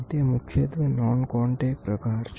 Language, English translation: Gujarati, It is predominantly non contact